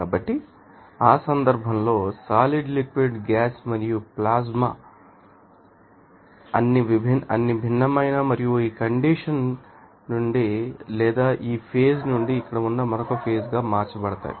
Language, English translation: Telugu, So, in that case solid liquid gas and plasma all those are you know, different you know state and from this state or from this phase that will be you know converted into another phase of state like here